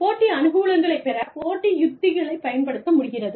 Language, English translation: Tamil, Competitive strategies, that can be used to gain, competitive advantage